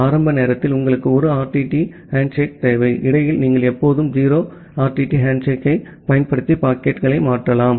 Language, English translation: Tamil, And at the initial time you require a 1 RTT handshake; after in between you can always use the 0 RTT handshake to transfer the packets ok